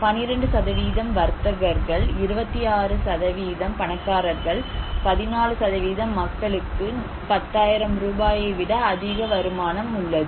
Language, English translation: Tamil, And traders; 12% are traders, some people are rich like 26% + 14%, they have more income than 10,000 rupees